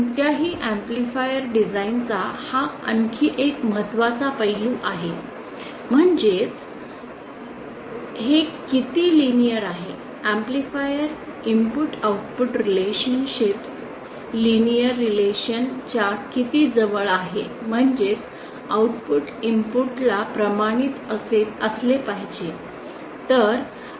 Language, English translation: Marathi, This is another very important aspect of the amplifier design how linear it is that is how close the input output relationship of the amplifier are towards are to a linear relationship that is output should be proportional to the input